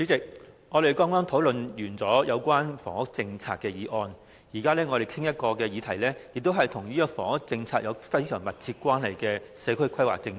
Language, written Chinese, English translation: Cantonese, 主席，我們剛討論完有關房屋政策的議案，我們現在討論的議題也是與房屋政策有非常密切關係的社區規劃政策。, President we have just discussed a motion on housing policy . The subject of this motion under discussion is community planning policy which is very closely related to the housing policy